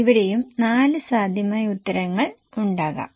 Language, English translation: Malayalam, Again, there are four possible answers